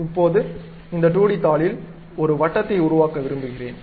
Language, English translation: Tamil, Now, I would like to construct a circle on this 2d sheet